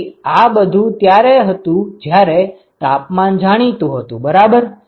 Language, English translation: Gujarati, So, this is if all the temperatures are known ok